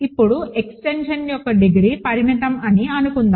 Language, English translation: Telugu, Now, suppose that the degree of the extension is finite